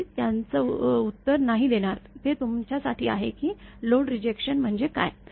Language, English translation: Marathi, I am not answer that; this is for you that what is load rejection